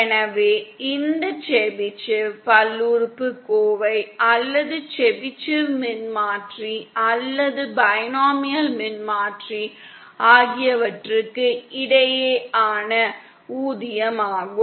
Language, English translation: Tamil, So that is a paid off between Chebyshev polynomial or the Chebyshev transformer or the binomial transformer